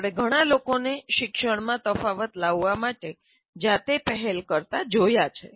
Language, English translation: Gujarati, We have seen so many people taking initiatives on their own to make a difference to the teaching and learning